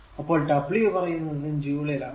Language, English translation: Malayalam, So, the w is measured in joule right